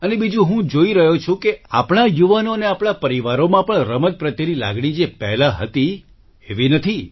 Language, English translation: Gujarati, And secondly, I am seeing that our youth and even in our families also do not have that feeling towards sports which was there earlier